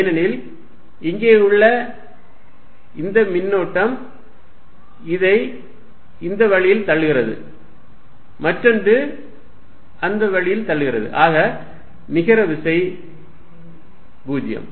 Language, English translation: Tamil, This fellow pushes it this way, the other fellow pushes this way, and the net force is 0